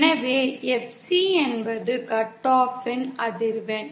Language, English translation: Tamil, So FC is the cut off frequency